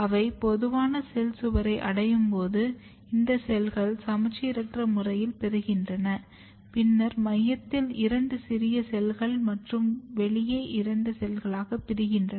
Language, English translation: Tamil, And when they reach to the common cell wall, these cells basically asymmetrically divide like this and then you have two small cells in the centre and then two cells which are outside